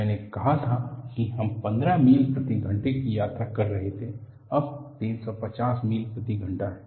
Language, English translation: Hindi, I said that we were traveling at 15 miles per hour, now 350 miles per hour